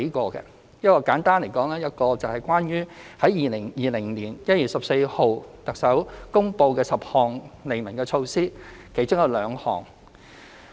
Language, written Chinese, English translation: Cantonese, 當中一個問題，簡單而言，是關於2020年1月14日，特首公布的10項利民措施的其中兩項。, One of them is about to put it simply 2 of the 10 measures to benefit the public announced by the Chief Executive on 14 January 2020